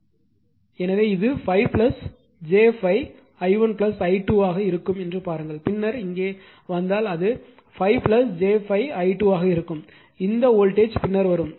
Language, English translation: Tamil, So, look how things are it will be 5 plus j 5 i 1 plus i 2 right, then here if you will come it will be 5 plus j 5 i 2 right; this voltage will come later